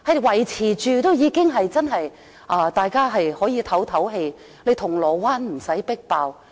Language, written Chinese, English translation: Cantonese, 維持這個數字，已經可以讓大家舒一口氣，銅鑼灣不用再"迫爆"。, Maintaining the number at the current level can already allow everyone to breathe a sigh of relief and Causeway Bay to no longer be jam - packed